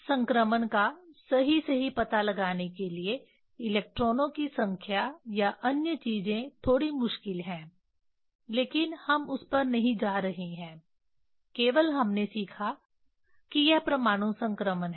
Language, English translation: Hindi, Number of electrons or more things to exactly find out this transition is slightly difficult but we are not going to that only we learnt that this is the atomic transition